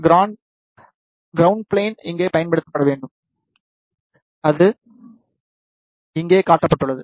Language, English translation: Tamil, The ground plane should be used over here, which is shown here